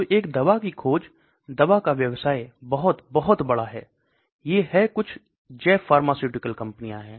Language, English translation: Hindi, So a drug discovery drug business is very, very large, these are some bio pharmaceutical companies